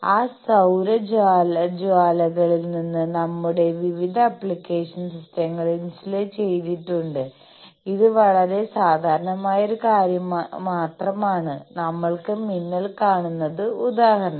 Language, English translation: Malayalam, Our various application systems insulated from those solar flares, you see this is a very common thing; we see lightning